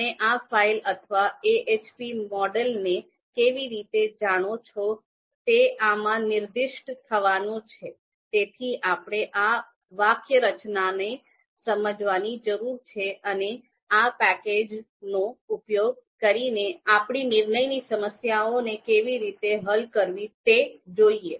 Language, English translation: Gujarati, How this particular you know file or the model ahp model is to be specified in this, so we need to understand the syntax and how to go about you know for solving our decision problems using this package